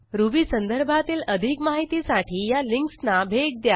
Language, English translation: Marathi, To get more help on Ruby you can visit the links shown